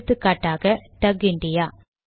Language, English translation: Tamil, For example, contact TUG India